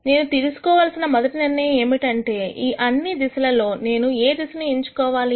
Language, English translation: Telugu, The one decision that I need to make is of all of these directions, what direction should I choose